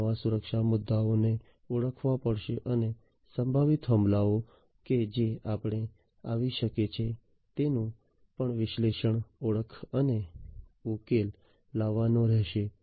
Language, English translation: Gujarati, So, these new security issues will have to be identified and the potential attacks that can come in we will also have to be analyzed, identified and then resolved